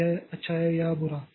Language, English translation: Hindi, So, whether it is good or bad